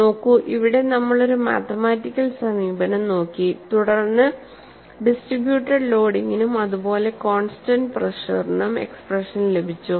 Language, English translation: Malayalam, See, here we have looked at a mathematical approach, and then got the expression for a distributed loading, as well as, for a constant pressure